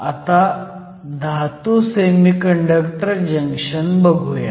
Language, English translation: Marathi, Next, let us move to a Metal Semiconductor Junction